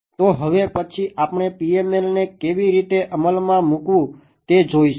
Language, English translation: Gujarati, So now, next is we will look at how to implement PML